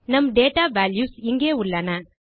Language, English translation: Tamil, Weve got our data values in here